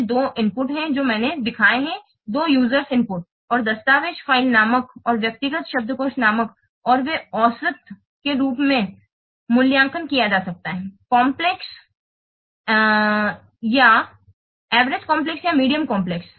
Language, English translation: Hindi, There are two user imports, document file name and personal dictionary name and they can be what, rated as average complex or medium complex